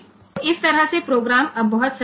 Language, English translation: Gujarati, So, this way the program is now very simple